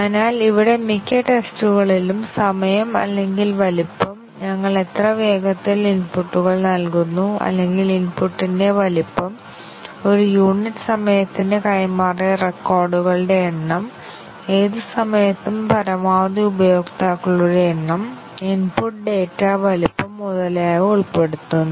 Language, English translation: Malayalam, So, here most of the tests involve an element of time or size, how fast we give inputs or what is the size of the input, what is the number of records transferred per unit time, maximum number of users active at any time, input data size etcetera